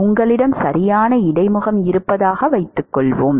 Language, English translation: Tamil, Supposing you have an interface right